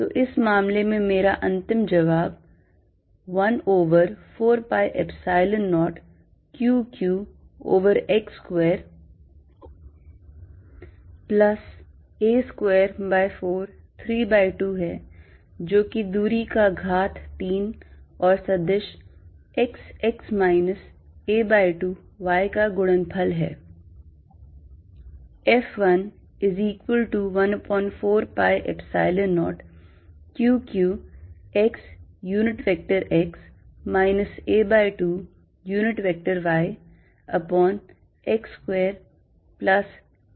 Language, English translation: Hindi, So, that my final answer in this case is, 1 over 4 pi epsilon 0 Q q over x square plus a square by 4, 3 by 2, which is nothing but the distance raise to three times a vector x x minus a by 2 y